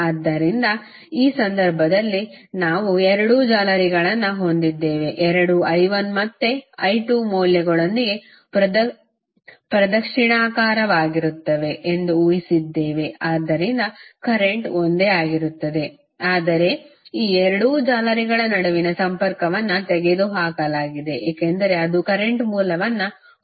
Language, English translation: Kannada, So, like in this case we have two meshes we have assumed that both are in the clockwise direction with i 1 and i 2 values, so current will remains same but the link between these two meshes have been removed because it was containing the current source